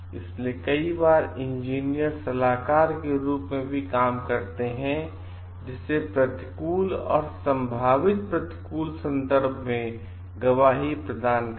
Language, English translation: Hindi, So, engineers many times also serve as consultants who provide testimony in adversarial and potential adversarial context